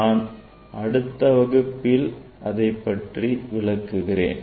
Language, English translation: Tamil, I will show, I will demonstrate in next class